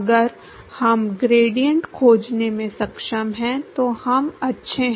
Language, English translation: Hindi, If we are able to find the gradient we are good